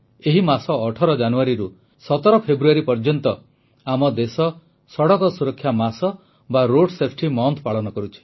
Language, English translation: Odia, This very month, from the 18th of January to the 17th of February, our country is observing Road Safety month